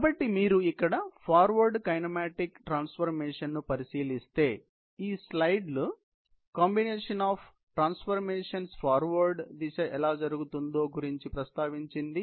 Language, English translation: Telugu, So, in a nutshell, if you look at the forward kinematic transformation here, this slide mentions about the combined, you know, how the transformations, the forward direction would happen